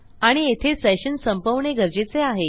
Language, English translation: Marathi, And we need to end our session here